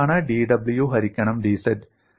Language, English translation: Malayalam, And what is dw by dz